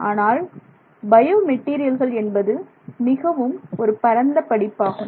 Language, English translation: Tamil, But bio materials by itself is a very vast area and also very interesting area